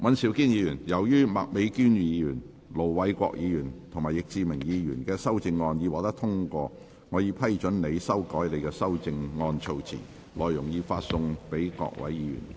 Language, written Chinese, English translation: Cantonese, 尹兆堅議員，由於麥美娟議員、盧偉國議員及易志明議員的修正案獲得通過，我已批准你修改你的修正案措辭，內容已發送各位議員。, Mr Andrew WAN as the amendments of Ms Alice MAK Ir Dr LO Wai - kwok and Mr Frankie YICK have been passed I have given leave for you to revise the terms of your amendment as set out in the paper which has been issued to Members